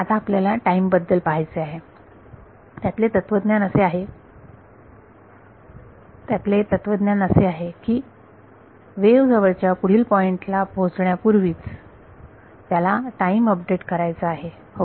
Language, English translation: Marathi, Now we want to do time, the philosophy is, we want to do a time update before the wave travels to next due to the nearest point ok